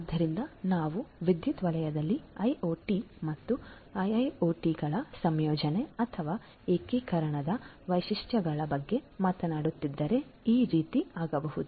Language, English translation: Kannada, So, if we are talking about the benefits or the features of incorporation or integration of IoT and IIoT in the power sector this is what would happen